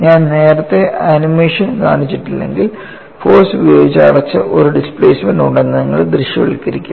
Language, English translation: Malayalam, See if I have not shown the animation earlier, you would not visualize that there was a displacement which was closed by the force